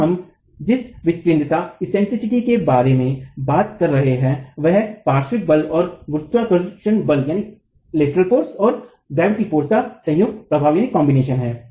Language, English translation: Hindi, Here the eccentricity that we are talking about is the combined effect of the lateral force plus the gravity force